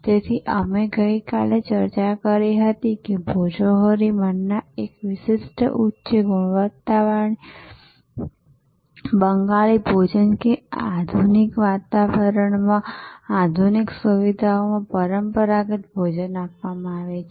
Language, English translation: Gujarati, So, we also discussed yesterday, Bhojohori Manna a specialised high quality Bengali cuisine offered in modern ambiance, traditional food in modern ambiance in modern facilities